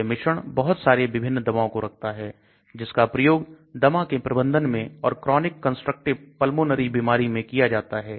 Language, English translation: Hindi, It is a formulation containing so many different drugs used in the management of asthma and chronic constructive pulmonary disease